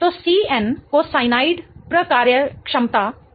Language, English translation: Hindi, So C triple bond N is called as a cyanide functionality